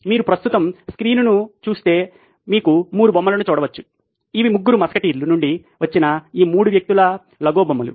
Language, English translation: Telugu, If you look at the screen right now you can see 3 figures, these are Lego figures of these 3 people from the Three Musketeers